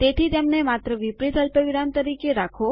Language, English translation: Gujarati, So, just keep them as inverted commas